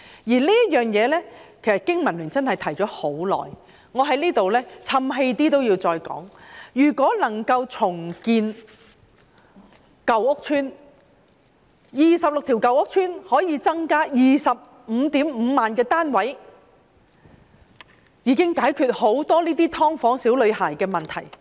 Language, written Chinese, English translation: Cantonese, 就這方面，其實香港經濟民生聯盟已提出了很久，即使說我太"譖氣"也要再說，如果能夠重建26條舊屋邨，便可以增加 255,000 個單位，這樣便可解決"劏房"小女孩的問題。, In this regard in fact as the Business and Professionals Alliance for Hong Kong has long been proposing―even if I am criticized for being long winded I have to say again―if 26 old housing estates can be redeveloped there will be an additional supply of 255 000 housing units . In this way the problem of the little girl living in a subdivided unit can be resolved